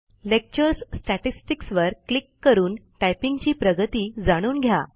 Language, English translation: Marathi, Click on Lecture Statistics to know your typing progress